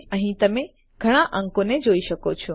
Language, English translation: Gujarati, So you can see quite a lot of digits here